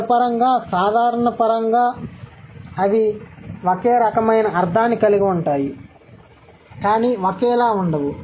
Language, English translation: Telugu, Semantically, generally they have similar kind of meaning but not identical